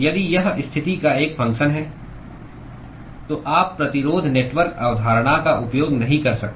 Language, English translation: Hindi, If it is a function of position, you cannot use the resistance network concept